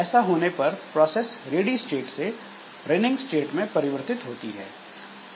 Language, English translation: Hindi, So, when it happens the process makes a transition from ready state to the running state